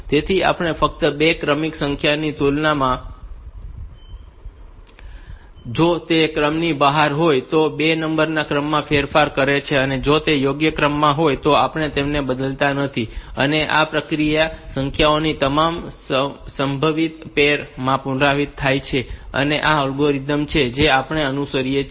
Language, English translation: Gujarati, So, we just compare 2 successive numbers, and if they are out of order which change the order of those 2 numbers and if they are in proper order, then we do not alter them and this process is repeated for the all possible pairs of numbers, this is the algorithm that we fallow